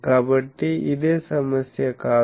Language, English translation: Telugu, So, this is not the same problem